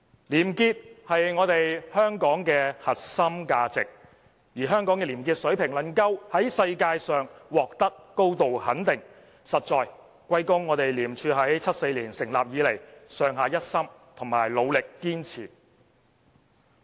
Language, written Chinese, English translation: Cantonese, 廉潔是香港的核心價值，而香港的廉潔水平能夠在世界上獲得高度肯定，實應歸功於廉署自1974年成立以來，上下一心和努力堅持。, Integrity is a core value of Hong Kong . The high international recognition of our probity is attributable to the unity efforts and perseverance of all ICAC staff since its establishment in 1974